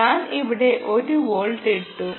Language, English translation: Malayalam, i put one volt here, you can see